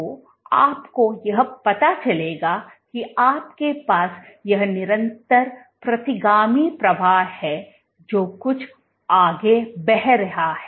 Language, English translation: Hindi, So, how come at you know this you have this continuous retrograde flow you have something flowing ahead